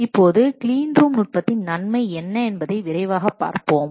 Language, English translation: Tamil, Now let's quickly see what is the advantage of clean room technique